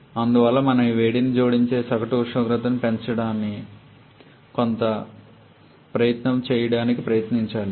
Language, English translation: Telugu, And therefore we should have try to put some effort by which we can increase the average temperature of this heat addition